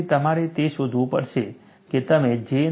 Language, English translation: Gujarati, And based on that, you will have to evaluate J